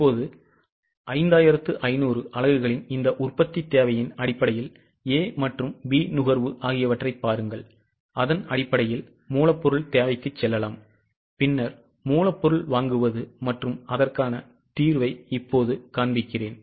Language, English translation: Tamil, Now based on this production requirement of 5,500 units, look at the consumption of A and B and based on that let us go for raw material requirement and then raw material purchase